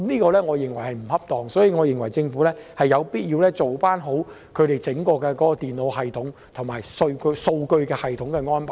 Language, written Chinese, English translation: Cantonese, 我認為這樣並不恰當，所以政府有必要做好在整個電腦系統及數據系統方面的安排。, I believe this is inappropriate so the Government has to make proper arrangements concerning the whole computer system and data system